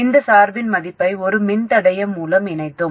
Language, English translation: Tamil, We connected this value of bias through a resistor